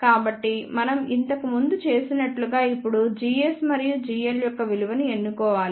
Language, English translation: Telugu, So, we have to now choose the value of g s and g l as we did earlier